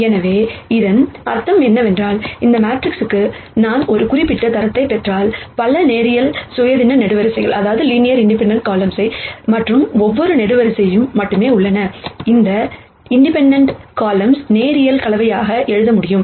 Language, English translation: Tamil, So, what that basically means is, if I get a certain rank for this matrix, then it tells me there are only so many linearly independent columns and every other column, can be written as a linear combination of those independent columns